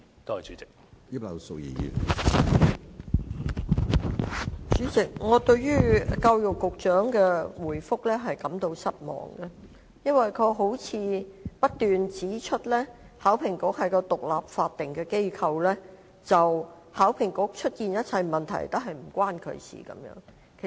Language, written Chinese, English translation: Cantonese, 主席，我對教育局局長的回覆感到失望，因為他不斷指出，考評局是一個獨立法定機構，所出現一切問題均與他無關。, President I am quite disappointed with the answer given by the Secretary for Education . He kept saying that HKEAA was an independent statutory body and hence he had nothing to do with the problems concerned